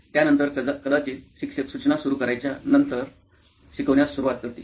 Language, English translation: Marathi, After that probably the teacher would start instructions, right start teaching then